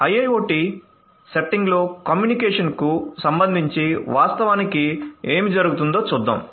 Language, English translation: Telugu, Let us look at what actually happens with respect to communication in an IIoT setting